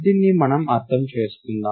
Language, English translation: Telugu, Let us understand this